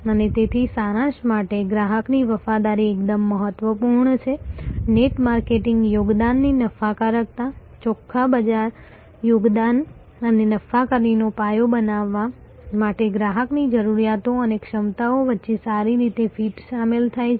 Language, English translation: Gujarati, And to summarize therefore, customer loyalty is absolutely important the drives profitability of the net marketing contribution, net market contribution and building a foundation of loyalty involves good fit between customer needs and capabilities